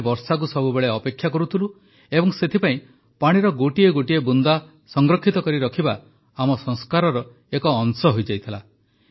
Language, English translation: Odia, We used to yearn for rain and thus saving every drop of water has been a part of our traditions, our sanskar